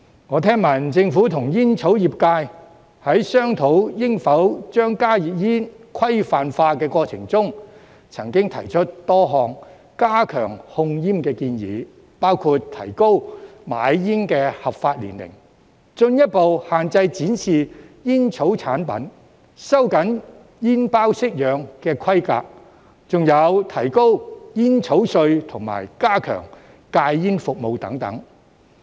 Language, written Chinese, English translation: Cantonese, 我聽聞政府和煙草業界在商討應否將加熱煙規範化的過程中，曾經提出多項加強控煙的建議，包括提高買煙的合法年齡、進一步限制展示煙草產品、收緊煙包式樣的規格，還有提高煙草稅及加強戒煙服務等。, I have heard that during the course of discussion between the Government and the tobacco industry about whether HTPs should be regularized a number of proposals to step up tobacco control were put forward including raising the legal age for purchasing cigarettes further restricting the display of tobacco products tightening the specifications relating to the forms of cigarette packets as well as raising the tobacco duty and strengthening smoking cessation services etc